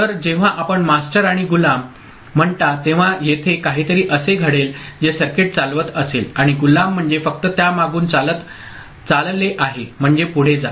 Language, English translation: Marathi, So, when you say master and slave so there will be something which is driving the circuit and slave means the one which is just following it, just carrying it forward ok